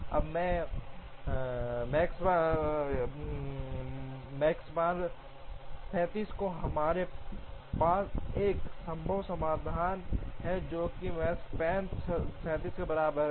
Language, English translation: Hindi, Now, the Makespan is 37 and we have a feasible solution, which Makespan equal to 37